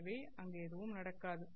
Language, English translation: Tamil, So there is nothing happening out there